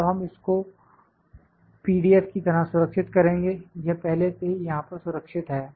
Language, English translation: Hindi, Now, we will save it as PDF is already saved here